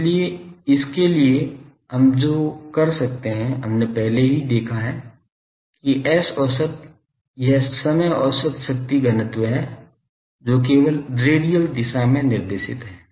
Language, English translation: Hindi, So, for that what we can do we have already seen that S average, these the time average power density that is only directed in radial direction